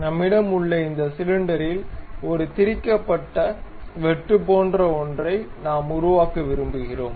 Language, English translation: Tamil, So, we have this cylinder on which we would like to have something like a threaded cut on it